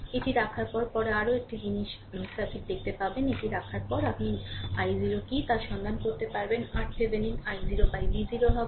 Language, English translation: Bengali, After putting this, later we will see circuit another thing; after putting this, you find out what is i 0 then, R Thevenin will be V 0 by i 0